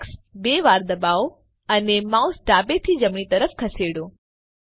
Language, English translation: Gujarati, press X twice and move the mouse left to right